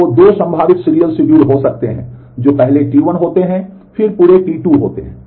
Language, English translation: Hindi, So, there are 2 possible serial schedules that can happen that is first T 1 happens, then whole of T 2 happens